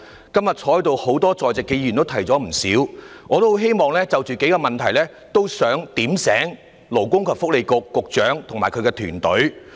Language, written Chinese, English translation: Cantonese, 今天在席多位議員已提出不少意見，我也希望就數個問題"點醒"勞工及福利局局長與其團隊。, Today a number of Members present have raised a lot of views . And I also wish to give the Secretary for Labour and Welfare and his team some reminders about a few issues